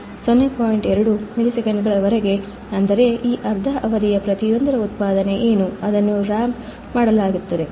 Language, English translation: Kannada, 2 milliseconds, that is, what is the output of each of these half periods, it will be ramped